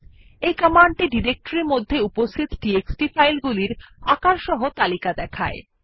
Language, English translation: Bengali, This command will give you a report on the txt files available in the directory along with its file sizes